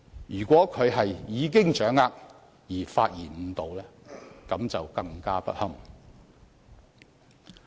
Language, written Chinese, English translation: Cantonese, 如果他是已掌握議案的性質而發言誤導，便更加不堪。, If a Member who well understands the nature of the motion and speaks to mislead others it will be even worse